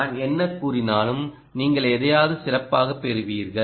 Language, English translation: Tamil, whatever i say, you will find something better